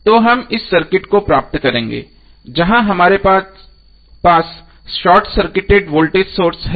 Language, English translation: Hindi, So we will get this circuit where we have short circuited the voltage source